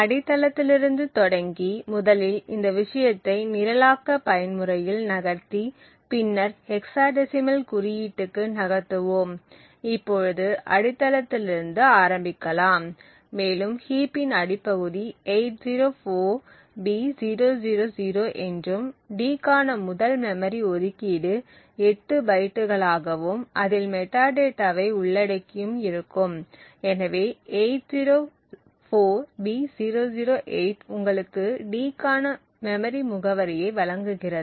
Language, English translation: Tamil, So starting from the base so we first move this thing into the programming mode and move to the hexadecimal notation and let us start out from the base and we see that the base of the heap is 804b000 and the initial eight bytes comprises of the metadata for the first memory allocation that is for d that is so it would be 8 bytes so 804B008 gives you the memory address for d